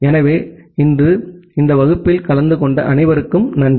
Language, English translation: Tamil, So, thank you all for attending this class today